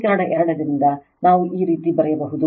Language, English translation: Kannada, From equation 2 we can write like this